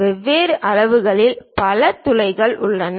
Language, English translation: Tamil, There are many holes of different sizes